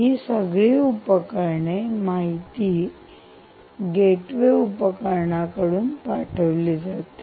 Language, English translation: Marathi, all of them are pushing data to what is known as this gateway device